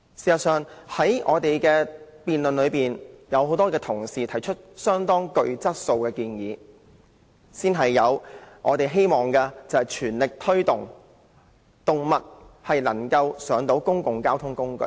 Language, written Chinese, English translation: Cantonese, 事實上，是次辯論中，很多同事都提出極具質素的建議，包括我們全力推動有關動物乘搭公共交通工具的安排。, In fact many colleagues have made extremely high quality suggestions in this debate including the suggestion to make an all - out effort to push forward the arrangement for animals to travel on public transport